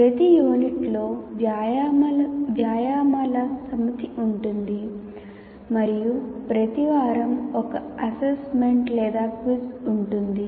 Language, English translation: Telugu, Each unit will have a set of exercises and each week will have an assignment or a quiz